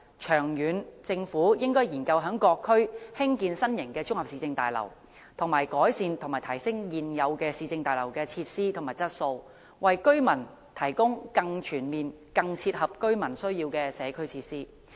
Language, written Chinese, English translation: Cantonese, 長遠來說，政府應研究在各區興建新型綜合市政大樓，以及改善和提升現有市政大樓的設施和質素，為居民提供更全面、更切合居民需要的社區設施。, In the long run the Government should conduct studies on building new municipal services complexes in various districts as well as improve and upgrade the facilities of existing municipal services buildings so as to provide residents with more comprehensive and appropriate community facilities